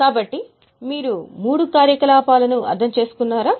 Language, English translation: Telugu, So are you getting all the three activities